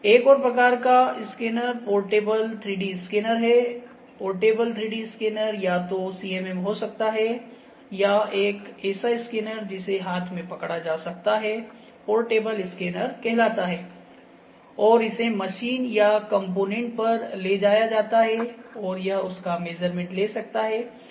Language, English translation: Hindi, So, one more type of scanner is portable 3D scanner, portable 3D scanner can be either CMM or they meant as a portable 3D scanner anything that can be held in hand and taken to the machine or the component that will lead like to measure is would be called as portable